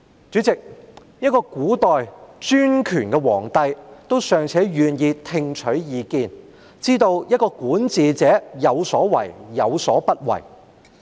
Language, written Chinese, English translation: Cantonese, 主席，一位古代專權的皇帝尚且願意聽取意見，知道管治者有所為、有所不為。, Chairman even an autocratic emperor in ancient times was willing to listen to others advice and understood what a ruler should do and what he should not